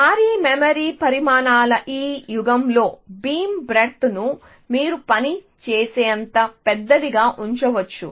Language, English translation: Telugu, In this era of huge memory sizes, you can keep the beam width as large as you can isn’t it and it will work